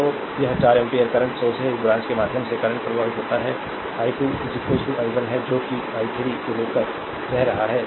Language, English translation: Hindi, So, this is 4 ampere current source, through this branch current is flowing i 2 this is i 1 current flowing through i 3 right